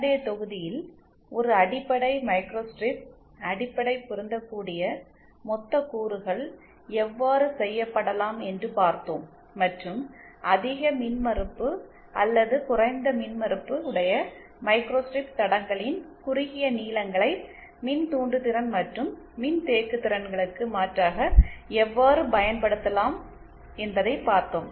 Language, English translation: Tamil, In the previous module we had saw how a basic microstrip, how basic matching lumped elements can be done and how using short lengths of high impedance or low impedance microstrip lines they can be used to substitute for inductances and capacitances